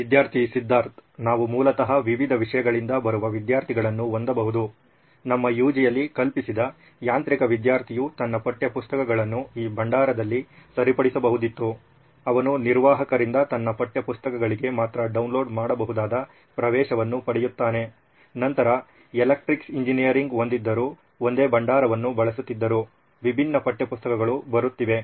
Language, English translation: Kannada, We can have students coming from different subjects basically, imagine in our UG, a mechanical student would have his textbooks fixed in this repository, he would get downloadable access only to his textbooks from the admin, then electronics engineer would have, would be using the same repository but different set of text books would be coming in